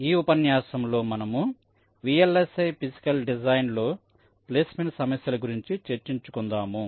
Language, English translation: Telugu, so in this lecture we continue with the discussion on placement issues in vlsi physical design